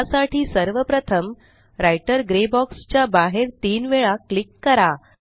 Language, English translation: Marathi, For this, let us first click outside this Writer gray box three times slowly